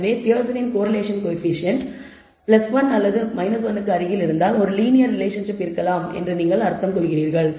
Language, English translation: Tamil, So, the Pearson’s coefficient said if the coefficient, Persons correlation coefficient, was close to 1 or minus 1, you said that there is you could interpret that there may exist a linear relationship